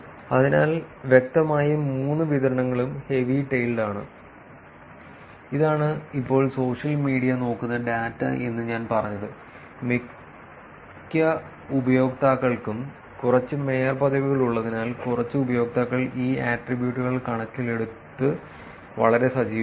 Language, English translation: Malayalam, So, clearly all three distributions are heavy tailed which is what I just now said which is social media looking data, since most users tend to have few mayorships whereas a few users have very active considering these attributes